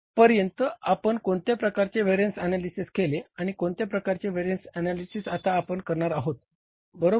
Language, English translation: Marathi, What kind of the variance analysis we did till now and what kind of the variance analysis we are going to do now